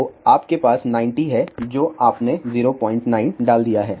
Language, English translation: Hindi, So, you have just 90 you put 0